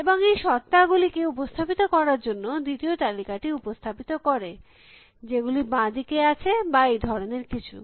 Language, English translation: Bengali, And what was the first list represent it to represent the entities, which are on the left bank or something like this